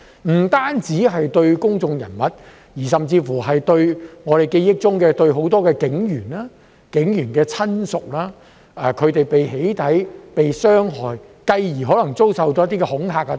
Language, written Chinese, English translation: Cantonese, 不單公眾人物，甚至——我們記憶中——很多警員和警員的親屬都被"起底"和傷害，繼而可能遭受恐嚇等。, Not only public figures but also―as far as we can recall―many police officers and their family members were doxxed victimized and possibly subjected to intimidation eventually